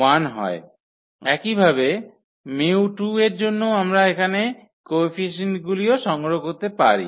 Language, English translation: Bengali, So, similarly for with mu 2 also we can also collect the coefficients here